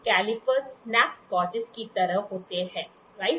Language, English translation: Hindi, Calipers are like snap gauges, right